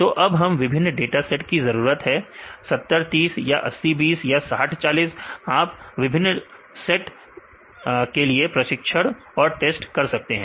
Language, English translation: Hindi, So, we need to have different sets 70, 30 or 80, 20 or 60, 40, you can do different sets of a training and test